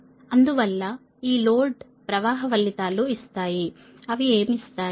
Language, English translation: Telugu, therefore, this load flow results give the what it will give